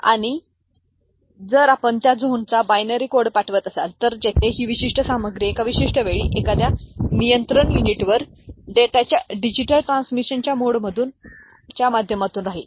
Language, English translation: Marathi, And if you are sending a binary code of the zone where the this particular material is lying at a given time to a control unit, through a mode of you know digital transmission of data